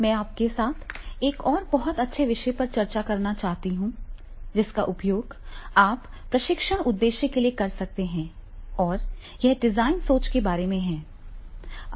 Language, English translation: Hindi, I want to discuss with you the another very good topic of which you can use for these training purpose and that is about the design thinking